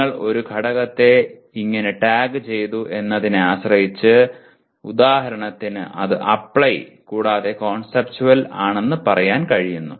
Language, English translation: Malayalam, Depending on how you tagged an element, for example I say it is Apply and Conceptual